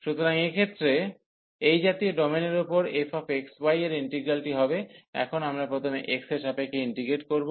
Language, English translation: Bengali, So, in this case this integral of this f x, y over such domain will be now we will integrate first with respect to x